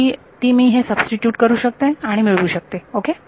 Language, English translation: Marathi, So, I can just substitute it over here and I get it ok